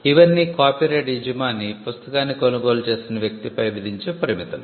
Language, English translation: Telugu, All these are restrictions that the owner of the copyright can impose on a person who has purchased the book